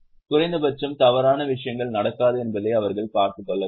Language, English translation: Tamil, At least they should see that wrong things don't happen